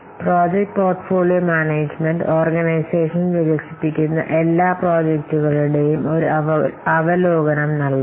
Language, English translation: Malayalam, So this project portfolio portfolio management it will provide an overview of all the projects that the organization is undertaking